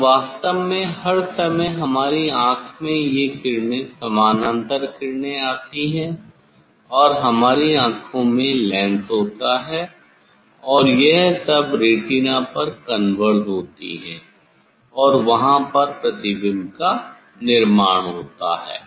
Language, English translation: Hindi, Now, actually in our eye all the time this rays say parallel rays comes and we have lens in our eye, and they will converge on the retina, there the image is formed